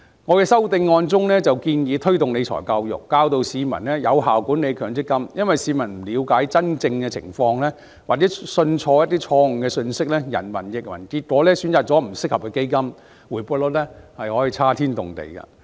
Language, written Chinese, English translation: Cantonese, 我的修正案建議推動理財教育，教育市民有效管理強積金，因為若市民不了解真正的情況，或錯信一些錯誤的信息，人云亦云，結果選擇了不適合的基金，回報率可以差天共地。, My amendment proposes to promote financial management education to teach people how to effectively manage their MPF investments because the rate of return can differ greatly if the public does not understand the real situation misbelieve some false information and believe in hearsay and choose an unsuitable fund as a result